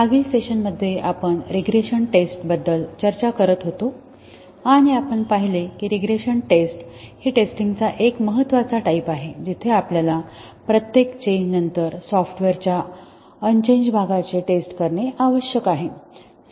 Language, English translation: Marathi, In the last session, we were discussing about regression testing and we saw that regression testing is an important type of testing, where we need to test the unchanged part of the software after each change